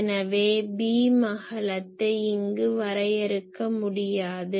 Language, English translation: Tamil, So, there is no beam width cannot be defined here